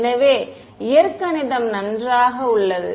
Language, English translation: Tamil, So, the algebra is fine